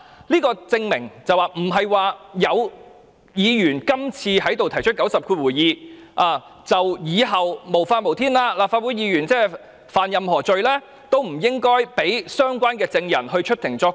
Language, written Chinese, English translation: Cantonese, 這證明不會因為今次有議員提出引用第902條，以後就會變得無法無天，以致立法會議員干犯何罪也不應讓相關證人出庭作供。, This is proof that the invocation of RoP 902 by a Member on this occasion will not lead to a lawless situation in future where the witnesses will be barred from giving evidence in court when Members of the Legislative Council committed an offence